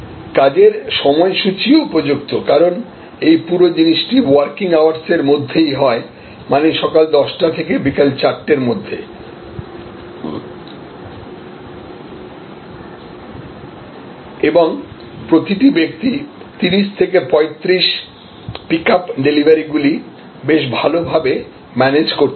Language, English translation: Bengali, And the workday schedule, because this whole thing operates during the working hours, during this time of saying 10 to 4 and each person handles 30 to 35 pickups deliveries quite a manageable size